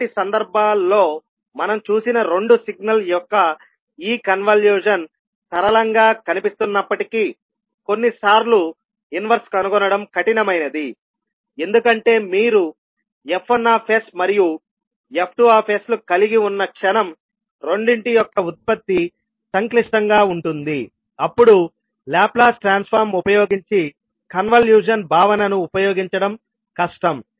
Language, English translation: Telugu, Because although this convolution of two signal which we saw in the previous cases looks simple but sometimes finding the inverse maybe tough, why because the moment when you have f1s and f2s the product of both is complicated then it would be difficult to utilise the concept of convolution using Laplace transform